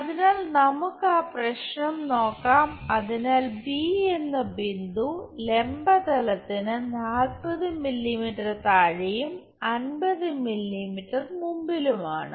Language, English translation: Malayalam, So, let us look at that problem so, b point is 40 mm below and 50 mm in front of vertical plane